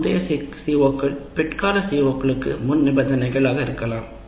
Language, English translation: Tamil, That means the earlier CBOs are prerequisites to the later COs